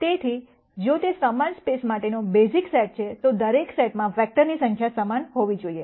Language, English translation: Gujarati, So, if it is a basis set for the same space, the number of vectors in each set should be the same